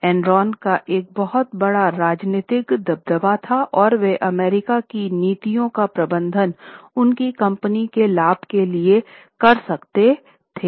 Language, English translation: Hindi, So, Enron had huge political clout and they could manage the policies of US government for the benefit of their company